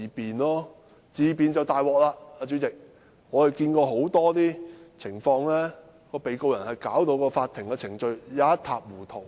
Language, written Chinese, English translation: Cantonese, 不過，自辯便糟糕了，主席，我們看見很多情況是，被告人把法庭程序弄得一塌糊塗。, Yet it is troublesome for them to resort to self - defence in court . President I have seen many cases in which the procedures in court are upset by the defendant